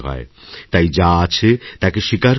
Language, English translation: Bengali, Accept things as they are